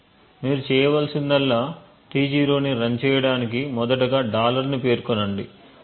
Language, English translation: Telugu, All that you need to do is run T0 specify a dollar and then